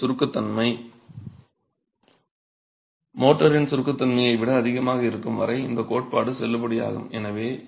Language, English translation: Tamil, This theory is valid as long as your compressibility of the unit is more than the compressibility of motor